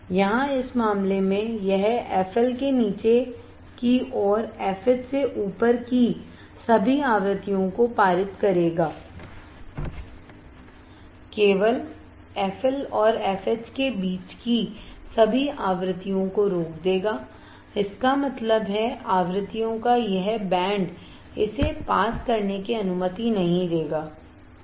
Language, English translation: Hindi, Here in this case it will pass all the frequencies below F L and all the frequencies above F H it will only stop the frequencies between F L and f H; that means, this band of frequencies it will not allow to pass right